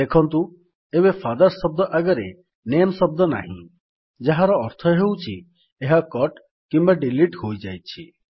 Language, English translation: Odia, Notice that the word NAME is no longer there next to the word FATHERS, which means it has be cut or deleted